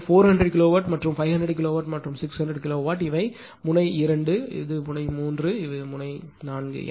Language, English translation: Tamil, So, 400 kilowatt plus 500 kilowatt plus 600 kilowatt; these are node 2, these are node 3, these are node 4